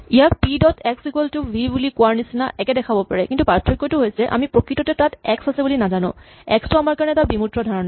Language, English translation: Assamese, This may look superficially the same as saying p dot x equal to v, but the difference is that we do not know actually there is an x, x is an abstract concept for us